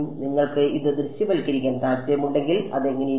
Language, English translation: Malayalam, If you wanted to visualize this what does it look like